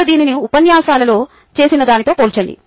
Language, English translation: Telugu, now compare this with what is done in lectures